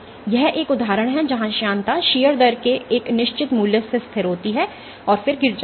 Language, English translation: Hindi, So, this is an example where the viscosity is constant of a certain value of shear rate and then drops